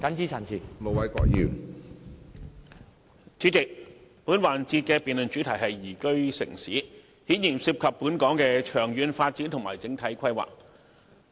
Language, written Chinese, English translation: Cantonese, 主席，本環節的辯論主題是"宜居城市"，顯然涉及本港的長遠發展及整體規劃。, President the subject of this session is liveable city which obviously has something to do with Hong Kongs development and overall planning in the long run